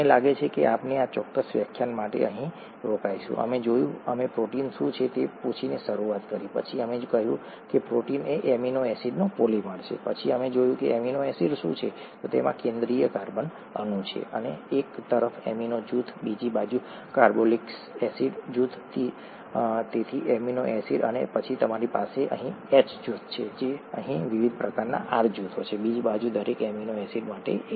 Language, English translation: Gujarati, I think we will stop here for this particular lecture, we saw, we started out by asking what proteins were, then we said that proteins are polymers of amino acids, then we saw what amino acids were, it has a central carbon atom, an amino group on one side, a carboxylic acid group on the other side, so amino acid, and then you have a H group here, and various different types of R groups, one for each amino acid on the other side